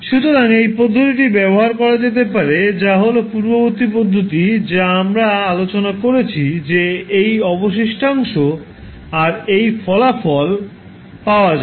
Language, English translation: Bengali, So, either you use this method or the previous method, which we discussed that is the residue method, you will get the same results